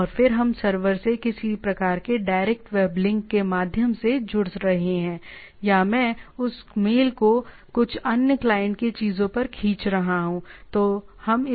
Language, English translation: Hindi, And then we are connecting to the server either through some sort of a directly web link, or I am pulling that mail to some other client at the things